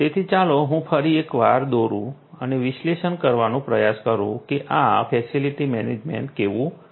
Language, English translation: Gujarati, So, once again let me draw and try to analyze what this facility management is going to be like